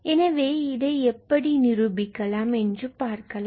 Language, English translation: Tamil, So, let us see how we can prove this